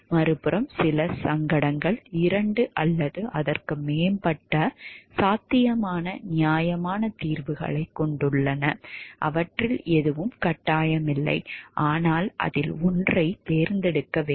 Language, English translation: Tamil, On the other hand, some dilemma have two or more possible reasonable solutions, no one of which is mandatory, but one of which should be chosen